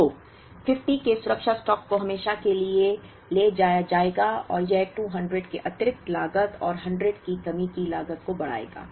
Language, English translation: Hindi, So, the safety stock of 50 will be carried forever and it would incur an additional cost of 200 plus a shortage cost of 100